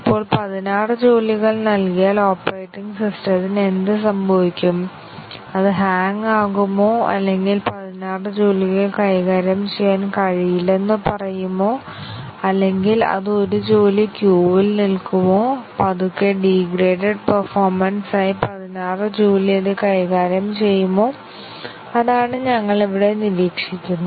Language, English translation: Malayalam, And now if 16 jobs are given, what would happen to the operating system, would it just hang, or would it say that 16 jobs are not possible to handle, or would it just queue up 1 job and slowly degraded performance it will handle the 16 job, so that is what we observe here